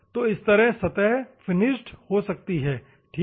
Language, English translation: Hindi, So, the surface gets machined or finished, ok